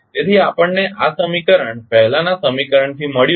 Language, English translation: Gujarati, So, we got this equation from the previous equation